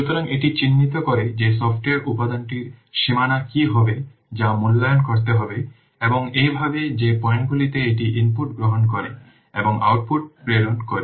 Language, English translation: Bengali, So this identifies what will the boundary of the software component that has to be assessed and thus the points at which it receives inputs and transmits outputs